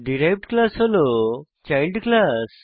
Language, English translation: Bengali, The derived class is the child class